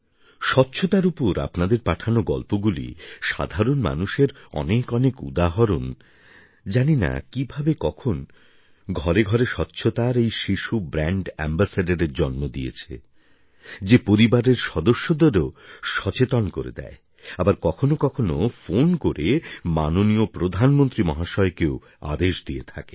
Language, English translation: Bengali, The stories that you've sent across in the context of cleanliness, myriad examples of common folk… you never know where a tiny brand ambassador of cleanliness comes into being in various homes; someone who reprimands elders at home; or even admonishingly orders the Prime Minister through a phone call